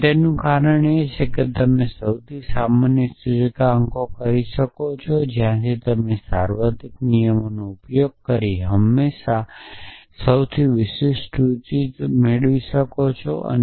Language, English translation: Gujarati, And the reason for that is that you can make the most general inferences from which you can always derive most specific inferences using the universal rule essentially